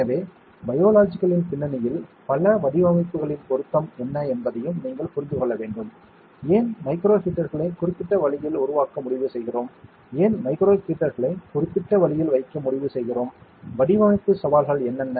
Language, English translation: Tamil, So, you need to also understand that what is the relevance of several designs in the context of biology, like why do we decide to make micro heaters in such specific way, why do we decide to place micro heaters in specific way, what are the design challenges and all